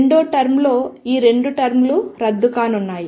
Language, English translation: Telugu, In the second term, these two terms are going to be cancel